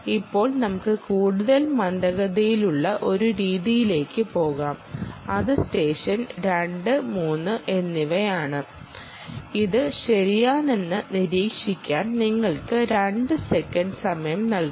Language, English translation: Malayalam, then now lets move on to a much more sluggish method, which is session two and three, which gives you a delay which you can actually observe, which is two seconds